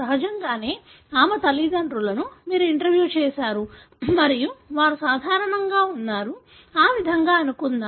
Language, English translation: Telugu, Obviously, her parents, you have interviewed and they are normal; let’s assume that way